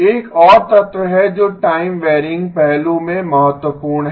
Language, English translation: Hindi, There is one more element which is important in the time varying aspect